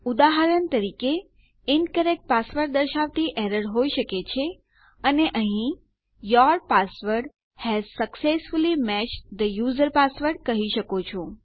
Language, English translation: Gujarati, So for example you can have an error saying incorrect password and here you can say your password has successfully matched the user password